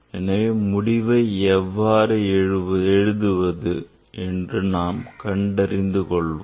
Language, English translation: Tamil, So, how to write the result